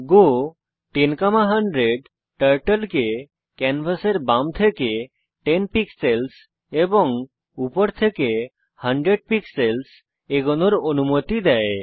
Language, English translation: Bengali, go 10,100 commands Turtle to go 10 pixels from left of canvas and 100 pixels from top of canvas